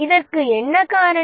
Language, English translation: Tamil, What can be the cause for this